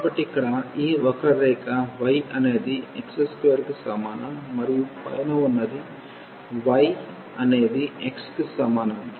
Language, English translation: Telugu, So, here this curve is y is equal to x square and the above one here is y is equal to x